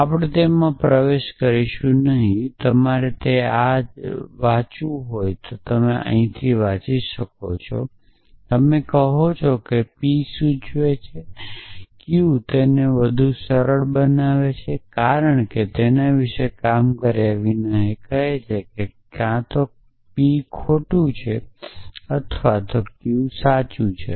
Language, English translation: Gujarati, You must read it like this when you say p implies q it is easier to read it as this without getting worked up about it says that either p is false or q is true